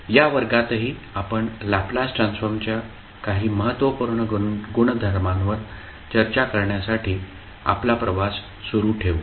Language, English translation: Marathi, So in this class also we will continue our journey on discussing the few important properties of the Laplace transform